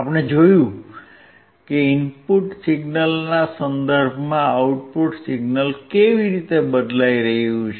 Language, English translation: Gujarati, And we have seen how the output signal was changing with respect to input signal